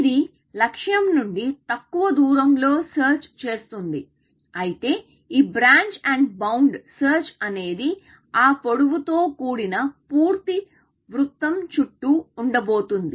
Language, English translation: Telugu, So, it will search less away from the goal, whereas, what branch and bound would search, would have been full circle around of that length